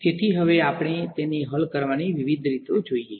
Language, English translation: Gujarati, So, now let us look at the different ways of solving them